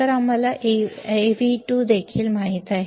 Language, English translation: Marathi, So, we now know Av2 as well